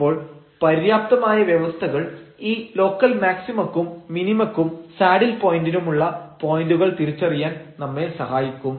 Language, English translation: Malayalam, So, the sufficient conditions help us to identify these points for local maxima, minima or the saddle point